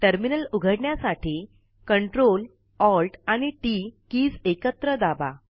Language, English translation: Marathi, To open a Terminal press the CTRL and ALT and T keys together